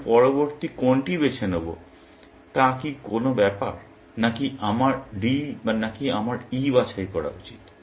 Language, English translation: Bengali, Does it matter which one I pick next; whether, I should D or whether, I should pick E